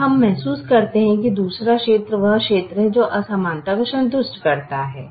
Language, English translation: Hindi, this is the other region is the region that satisfies the inequality